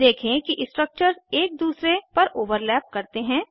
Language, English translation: Hindi, Observe that two structures overlap each other